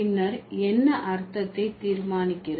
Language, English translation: Tamil, Then which one, what decides the meaning